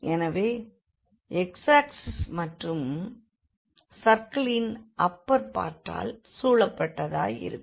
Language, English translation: Tamil, So, bounded by this x axis and this upper part of the circle